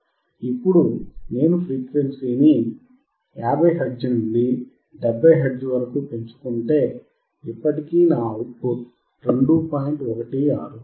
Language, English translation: Telugu, Now if I increase the frequency from 50 hertz to about 70 hertz, still my output is 2